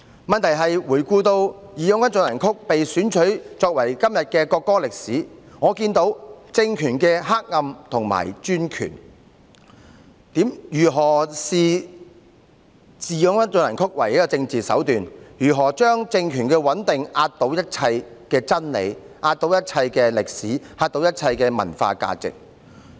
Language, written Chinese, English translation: Cantonese, 問題在於回顧"義勇軍進行曲"被選取為國歌的歷史，我看到政權的黑暗和專權，如何視"義勇軍進行曲"為政治手段，如何以政權的穩定壓倒一切真理、歷史和文化價值。, In reviewing the history of the selection of March of the Volunteers as the national anthem I have seen the reactionary and authoritarian nature of the regime how it had treated March of the Volunteers as a political means and how it had put the stability of the regime before all truths and historical and cultural values